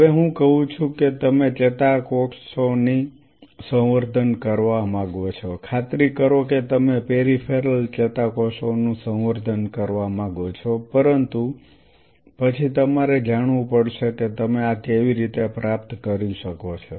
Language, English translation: Gujarati, Now, having said this having give you a very small layer of the biology here now I say that you want to culture neurons sure you want to culture peripheral neurons, but then you have to know could you achieve this how you are going to do this think of it